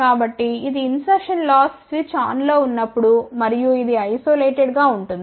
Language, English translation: Telugu, So, this is the insertion loss, when switch is on and this is the isolation